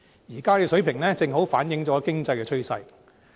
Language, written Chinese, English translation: Cantonese, 現在的水平，正好反映經濟的趨勢。, The present level can exactly reflect the economic trend